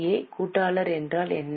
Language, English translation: Tamil, What is meant by associate